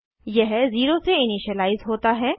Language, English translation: Hindi, It is initialized to 0